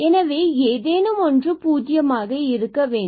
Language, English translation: Tamil, So, we have the 0